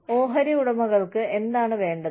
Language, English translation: Malayalam, What do shareholders want